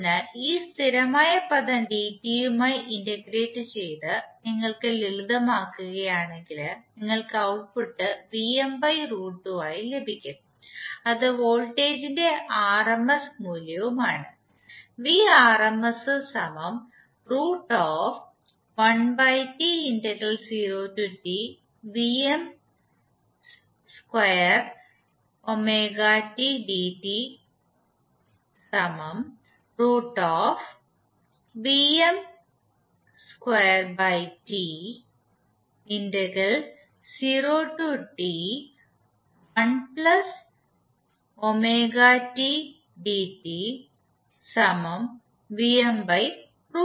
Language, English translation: Malayalam, So if you simplify just by integrating dt this particular constant term with dt you will get the output as Vm by root 2